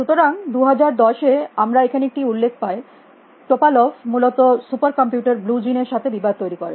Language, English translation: Bengali, So, here we have a mention in 2010 Topalov prepares by sparring against super computer Blue Gene essentially